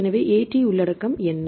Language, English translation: Tamil, So, what is the AT content, what is that AT content